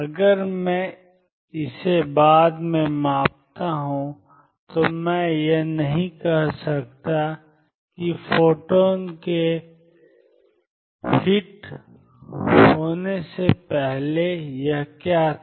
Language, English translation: Hindi, If I measure it later I cannot say what it was before the photon hit it